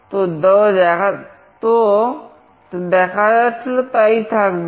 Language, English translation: Bengali, So, whatever is displayed will remain